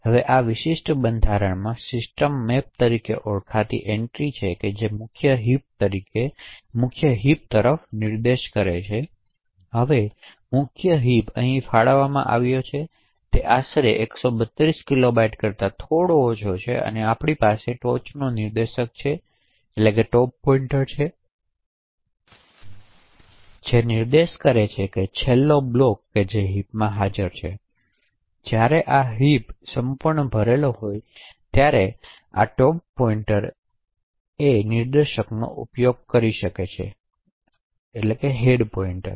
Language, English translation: Gujarati, Now within this particular structure there is an entry known as system map which is a pointer to the main heap, so now the main heap is actually allocated over here it is roughly slightly less than 132 kilobytes and we have top pointer which is pointing to the last block which is present in the heap, so this top pointer can be used determine when this heap is completely full